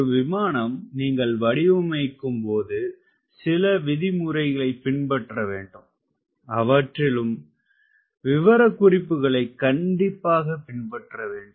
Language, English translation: Tamil, when you are designing a an aircraft, you have to follow some regulations and you have to follow strictly those as specifications